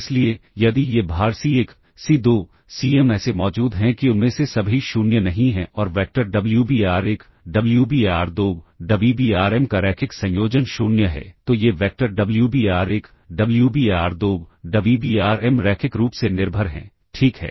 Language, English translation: Hindi, So, if there exists these weights C1, C2, Cm such that not all of them are 0 and the linear combination of the vectors Wbar1, Wbar2, Wbarm is 0, then these vectors Wbar1, Wbar2, Wbarm are linearly dependent, ok